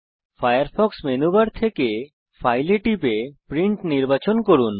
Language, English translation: Bengali, From the Firefox menu bar, click File and select Print